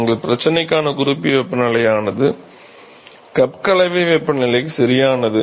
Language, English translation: Tamil, So, a reference temperature for our problem is the cup mixing temperature right